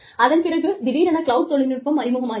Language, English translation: Tamil, And then, suddenly, there was the cloud